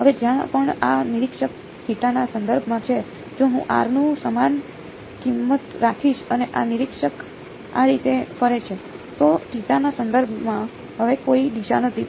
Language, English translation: Gujarati, Now wherever this r observer is with respect to theta; if I keep the same value of r and this observer walks around like this, there is no orientation with respect to theta anymore right